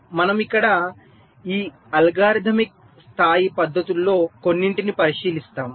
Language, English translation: Telugu, so we look at some of these algorithmic level techniques here